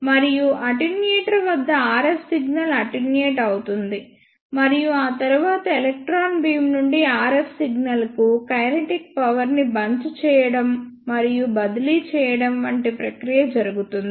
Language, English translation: Telugu, And at the attenuator the RF signal is attenuated; and after that the same process of bunching and transfer of kinetic energy from electron beam to RF signal takes place like this